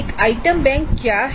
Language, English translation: Hindi, Now what is an item bank